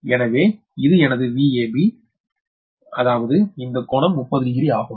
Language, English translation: Tamil, so that means this angle is thirty degree